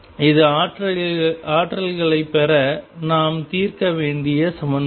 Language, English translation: Tamil, This is the equation that we have to solve to get the energies